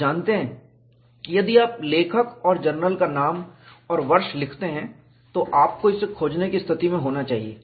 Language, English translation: Hindi, You know, even if you write the name of the author and the journal and the year, you should be in a position to search it